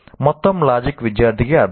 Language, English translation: Telugu, And the entire logic makes sense to the student